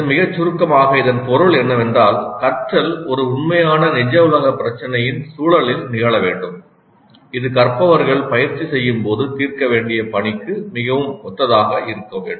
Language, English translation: Tamil, Very briefly what it means is that the learning must occur in the context of an authentic real world problem that is quite similar to the task that the learners would be required to solve when they practice